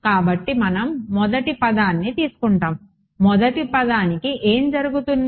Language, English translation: Telugu, So, what happens of we will just take the first term, what happens of the first term